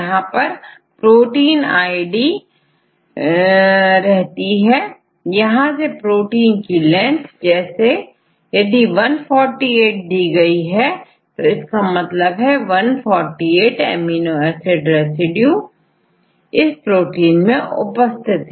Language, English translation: Hindi, So, they will give the length of the protein; what is the meaning of 148; 148 amino acid residues in the particular protein